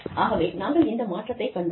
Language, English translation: Tamil, So, we have seen this transition